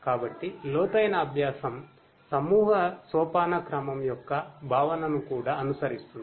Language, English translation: Telugu, So, deep learning also follows the concept of nested hierarchy